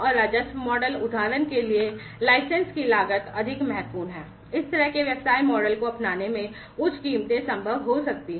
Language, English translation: Hindi, And the revenue model, for example, the license costs are important the higher, you know, higher prices might be possible in the in adopting this kind of business model